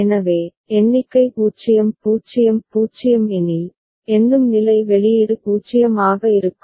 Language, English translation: Tamil, So, if the count is 0 0 0, the counting state the output will be 0